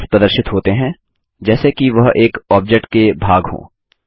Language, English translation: Hindi, The handles appear as if they are part of a single object